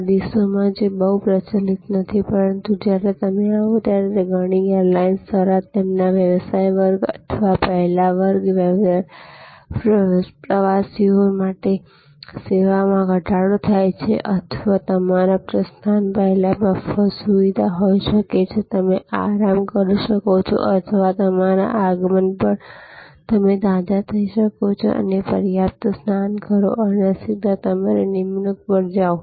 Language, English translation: Gujarati, These days that is not very much prevalent, but drop of service when you arrive are provided by many airlines for their business class or first class travelers or there could be free launch facility before your departure, you can relax or on your arrival you can fresh enough and take a shower and so on, and go straight to your appointment